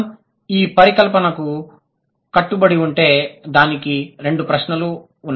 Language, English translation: Telugu, If we stick to this hypothesis, then it will have two questions